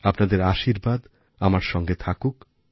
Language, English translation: Bengali, May your blessings remain there for me